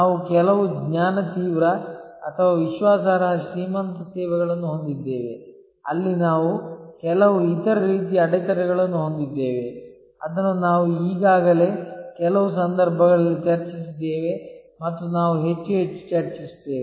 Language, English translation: Kannada, We have certain knowledge intensive or credence rich services, where we have certain other types of barriers, which we have already discussed in some cases and we will discuss more and more